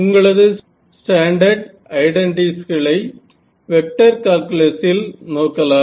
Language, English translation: Tamil, So, we are just using our standard recall vector id vector calculus identities